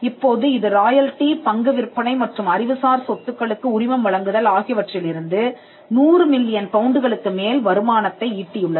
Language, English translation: Tamil, Now, this has generated an income in excess of 700 million pounds from royalties, share sales and licensing intellectual property